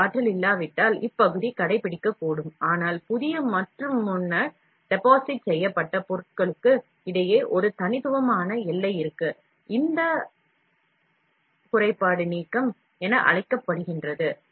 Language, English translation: Tamil, If there is insufficient energy, the region may adhere, but there would be a distinct boundary between new and previously deposited material, this defect is called as delamination